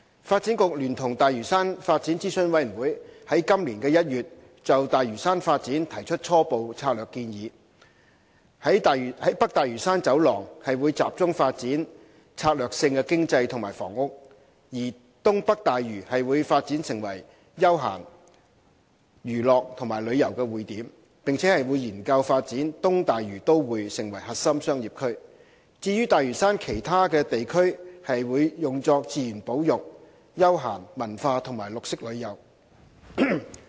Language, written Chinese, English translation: Cantonese, 發展局聯同大嶼山發展諮詢委員會於今年1月就大嶼山發展提出初步策略建議——北大嶼山走廊會集中發展策略性經濟及房屋；而東北大嶼會發展成為休閒、娛樂和旅遊匯點；並研究發展"東大嶼都會"成為核心商業區；至於大嶼山其他地區則會用作自然保育、休閒、文化及綠色旅遊。, The preliminary development strategy for Lantau Island put forward by the Development Bureau and the Lantau Development Advisory Committee in January this year has proposed that the North Lantau Corridor will mainly focus on strategic economic and housing developments whereas the north - eastern part of Lantau will develop into a node for leisure entertainment and tourism . A study will also be undertaken for developing the East Lantau Metropolis into a core business district while other parts of Lantau Island will be used for conservation leisure and cultural and green tourism